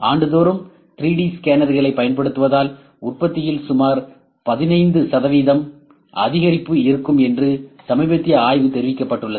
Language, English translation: Tamil, A recent study has reported that there would be about 15 percent increase in the production using 3D scanners annually